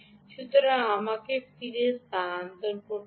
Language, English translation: Bengali, so let me shift back